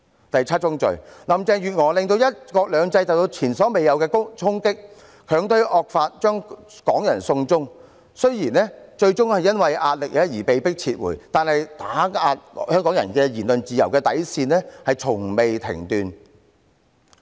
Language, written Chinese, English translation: Cantonese, 第七宗罪，林鄭月娥令"一國兩制"受到前所未有的衝擊，強推惡法，將港人"送中"，雖然最終因壓力而被迫撤回，但對香港人言論自由底線的打壓從未間斷。, The seventh sin is that Carrie LAM subjected one country two systems to unprecedented challenge . She pushed through the draconian law to extradite Hong Kong people to China . Although the Bill was eventually withdrawn under pressure the suppression of Hong Kong peoples freedom of speech has never stopped